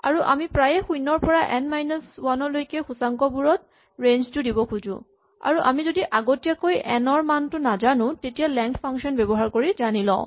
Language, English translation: Assamese, So, very often what we want to do is range over the indices from 0 to n minus 1 and if we do not know n in advance, we get it using the length function